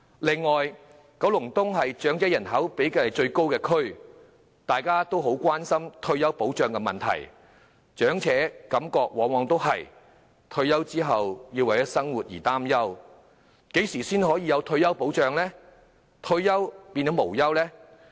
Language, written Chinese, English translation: Cantonese, 另外，九龍東是長者人口比例最高的地區，大家都很關心退休保障的問題，長者的感覺往往是退休後要為生活擔憂，何時才能有退休保障，令退而無憂呢？, Also Kowloon East is the area with the highest proportion of elderly people . We are all very concerned about retirement protection because elderly people all feel that they must worry about their life after retirement . When can retirement protection be provided to rid elderly people of any worry after retirement?